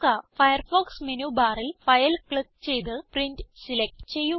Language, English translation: Malayalam, From the Firefox menu bar, click File and select Print